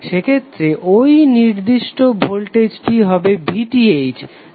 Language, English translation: Bengali, So in that case this particular voltage would be nothing but VTh